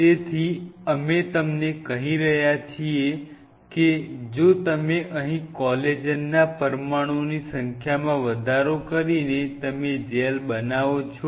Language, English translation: Gujarati, So, what we are telling you is if you increase the number of molecules out here of collagen and you wanted to make a gel